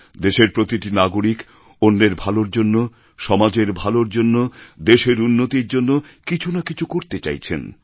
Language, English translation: Bengali, Every citizen of the country wants to do something for the benefit of others, for social good, for the country's progress